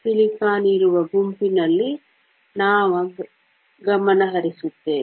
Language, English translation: Kannada, We will concentrate in the group where silicon is